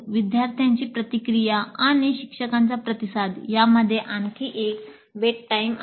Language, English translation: Marathi, And there is another wait time between the students' response and the teacher's response